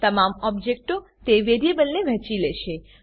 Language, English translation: Gujarati, All the objects will share that variable